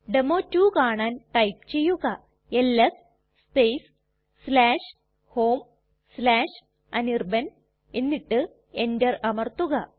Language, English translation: Malayalam, To see that the demo2 is there type ls space /home/anirban and press enter